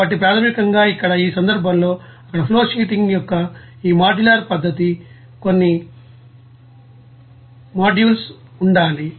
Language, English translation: Telugu, So basically, here in this case, there should be some modules this modular method of flowsheeting there